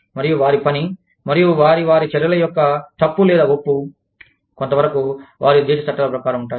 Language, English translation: Telugu, And, their work, and their, the rightness or wrongness of their actions, could be governed in part, by the laws of the country, they belong to